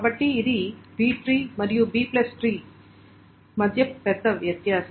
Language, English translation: Telugu, So that is a big difference between a B tree and a B plus tree